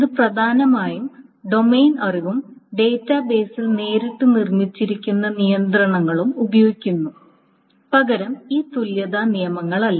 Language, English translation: Malayalam, So it uses essentially the domain knowledge and the constraints that are built into the database directly and not this equivalence rules